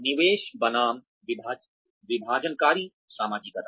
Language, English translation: Hindi, Investiture versus divestiture socialization